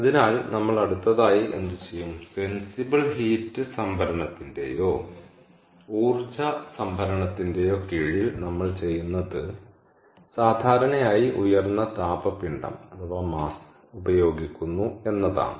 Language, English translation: Malayalam, so what we will do next is, under sensible heat storage or energy storage, what we do is we typically use a high thermal mass